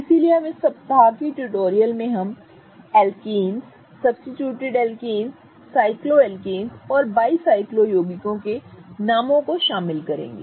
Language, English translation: Hindi, So, we will cover a detailed nomenclature of alkanes, substituted alkanes, cycloalkanes and bicyclo compounds in this week's tutorial